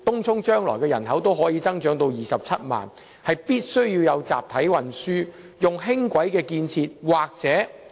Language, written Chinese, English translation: Cantonese, 由於東涌人口日後預計會增至27萬人，必須於該區提供集體運輸，例如建設輕軌。, Since the population in Tung Chung is expected grow to 270 000 mass transport such as light rail must be provided in Tung Chung